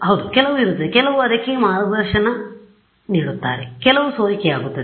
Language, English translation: Kannada, Yeah some will be some will guide it some will get will leak out ok